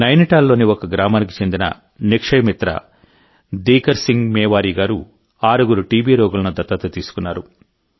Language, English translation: Telugu, Shriman Dikar Singh Mewari, a Nikshay friend of a village in Nainital, has adopted six TB patients